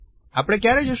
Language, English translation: Gujarati, When do we go